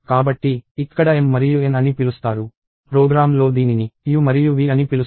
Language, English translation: Telugu, So, it is called m and n here; it is called u and v in the program